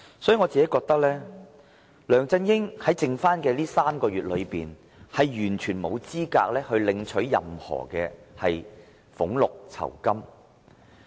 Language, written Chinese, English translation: Cantonese, 因此，我認為梁振英在餘下的3個月任期，完全沒有資格領取任何俸祿酬金。, Therefore in my view LEUNG Chun - ying is totally not qualified to receive any remuneration in his remaining term of three months